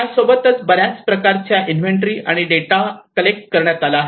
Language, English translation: Marathi, And collected a lot of inventories and the data